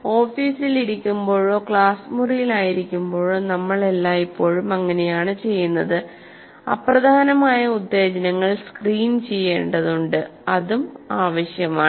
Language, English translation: Malayalam, That we do all the time when we sit in our office or when we are in the classroom, we need to, it is required also to screen out unimportant stimuli